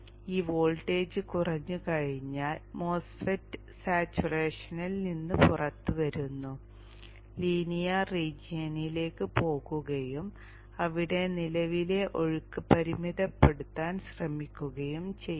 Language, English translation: Malayalam, Once this voltage comes down, MOSFET comes out of saturation goes into the linear region and tries to limit the current flow here